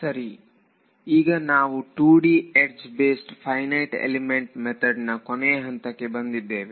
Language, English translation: Kannada, Right so now we come to the final section on the 2D edge based Finite Element Method